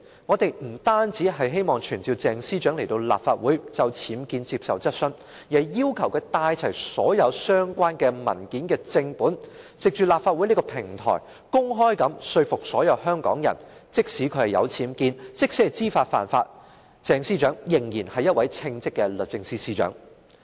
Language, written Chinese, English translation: Cantonese, 我們不單希望傳召鄭司長到立法會就僭建接受質詢，更要求她帶齊所有相關文件的正本，藉立法會這個平台，公開說服所有香港人，她即使有僭建，即使知法犯法，仍然是一位稱職的律政司司長。, Not only do we hope to summon Ms CHENG to the Legislative Council to take questions on her UBWs but we also request her to bring all the original documents concerned to the platform of the Legislative Council so as to convince all Hong Kong people in public that despite her UBWs despite her violation of laws knowingly she is still a competent Secretary for Justice